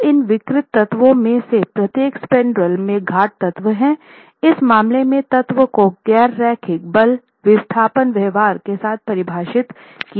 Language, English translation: Hindi, So, each of these deformable elements, the peer element in this case and the spandrel element in this case are defined with a nonlinear force displacement behavior